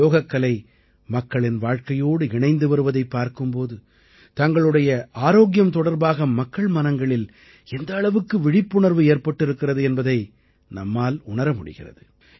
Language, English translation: Tamil, As 'Yoga' is getting integrated with people's lives, the awareness about their health, is also continuously on the rise among them